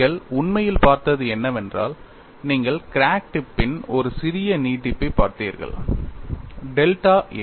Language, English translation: Tamil, What you have actually looked at is you have looked at a small extension of crack tip delta a instead of